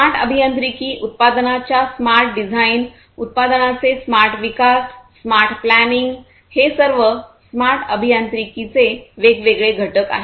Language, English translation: Marathi, Smart engineering, smart design of the product, smart development of the product, smart planning all of these are different constituents of smart engineering